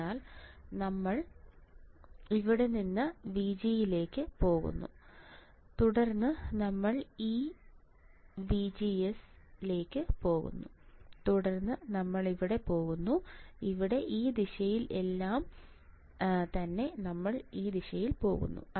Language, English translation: Malayalam, So, we go from here right VG from here VG right then we go here this 1 minus VGS then we go here, here in this direction all right from here we go this way